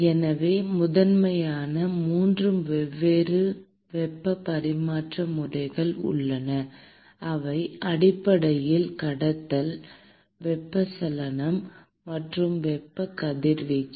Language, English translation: Tamil, So, there are primarily 3 different modes of heat transfer, which are basically conduction, convection and thermal radiation